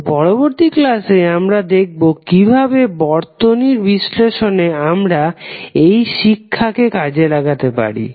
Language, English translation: Bengali, So, in next lecture we will try to find out, how you will utilize this knowledge in analyzing the circuit